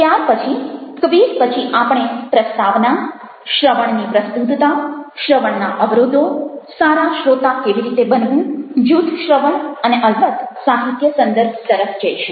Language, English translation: Gujarati, ok, then we will move on after the quiz to the introduction: a relevance of listening, barriers of barriers of listening, how to become a good listener, listening in groups and, of course, the references